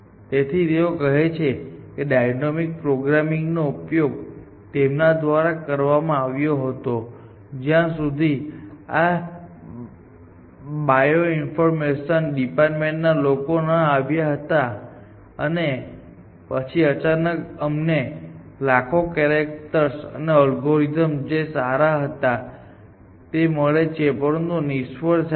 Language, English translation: Gujarati, So, they say they if to use the animal programming, till this bio informatics people came in and then suddenly, we have sequences of hundreds of thousands of characters and those algorithms, so good is essentially failed essentially